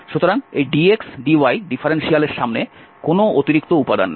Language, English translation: Bengali, So, there is no extra element in front of this dx dy differential